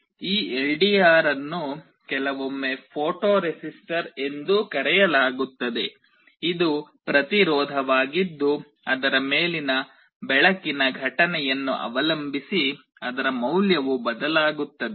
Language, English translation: Kannada, This LDR is sometimes also called a photo resistor; it is a resistance whose value changes depending on the light incident on it